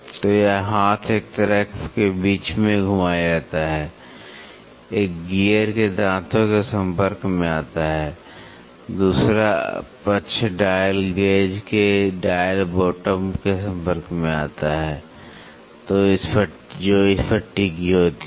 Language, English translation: Hindi, So, this arm in is pivoted in between one side comes in contact with the teeth of a gear, the other side comes in contact with the dial bottom of the dial gauge which rests on it